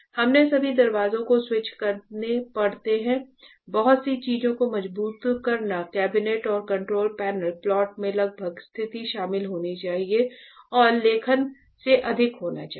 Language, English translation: Hindi, We have to door switches all door switches; strong strengthen a right lot of thing cabinet and control panel plot almost should be involved position and writing should be more than